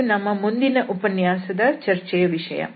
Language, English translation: Kannada, So, that will be the discussion of the next lecture